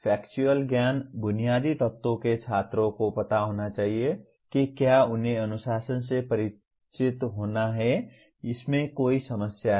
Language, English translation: Hindi, Factual Knowledge Basic elements students must know if they are to be acquainted with the discipline or solve any problems in it